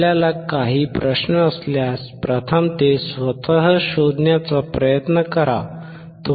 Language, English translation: Marathi, If you have any questions, first try to find it out yourself